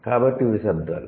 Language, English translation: Telugu, So, these are the sounds